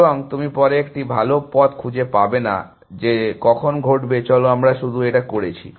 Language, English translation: Bengali, And you would not find a better path later, when does that happen, come on we just did it